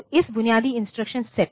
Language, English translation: Hindi, So, this basic instruction set this